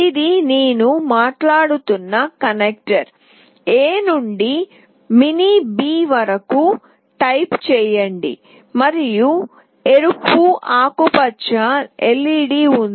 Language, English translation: Telugu, Here is the connector I was talking about, type A to mini B, and there is a red/green LED